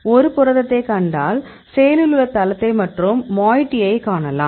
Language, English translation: Tamil, If you see a protein; we can see the active site and see the moiety